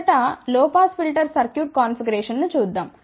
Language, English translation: Telugu, Let us first look at the low pass filter circuit configuration